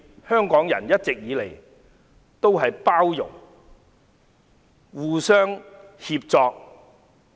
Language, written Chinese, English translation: Cantonese, 香港人一直以來都互相包容、互相協助。, Hong Kong people have been inclusive and helpful to each other